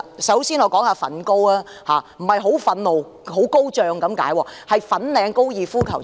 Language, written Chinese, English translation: Cantonese, 首先，我談談"粉高"，這不是很憤怒、很高漲的意思，是指粉嶺高爾夫球場。, First of all let me talk about the Fanling Golf Course . I am not talking about being very angry or highly enthusiastic . I am referring to the Fanling Golf Course